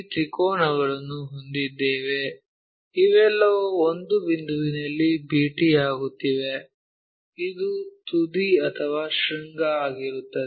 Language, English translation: Kannada, We have these triangles all these are meeting at 1 point, this one is apex or vertex